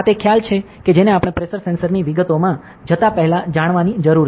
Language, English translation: Gujarati, So, this is the concept that you need to know, before we go into details of a pressure sensor